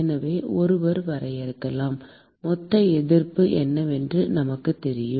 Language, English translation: Tamil, So, one could define we know what is the total resistance